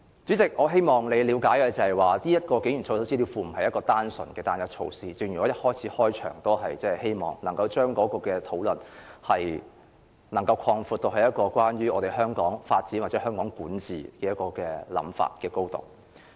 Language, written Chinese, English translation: Cantonese, 主席，我希望你了解設立警員操守資料庫不是單純的單一措施，我開始發言時希望能夠將討論擴闊至關於香港發展或香港管治的範疇。, President I hope you can understand that the setting up an information database on the conduct of police officers is not a single measure . So I would like to first speak on the wider perspective of the development or governance of Hong Kong